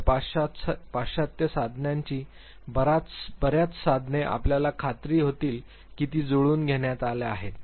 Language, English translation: Marathi, So, many of the Western tools you would realize that they have been adapted